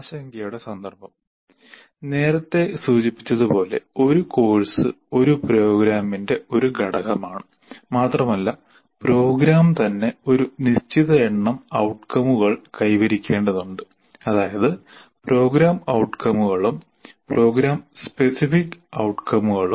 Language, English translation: Malayalam, As we all mentioned earlier, a course is an element of a program and the program itself has to meet a certain number of outcomes, namely program outcomes and program specific outcomes